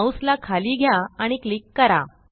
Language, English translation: Marathi, Move the mouse to the bottom and click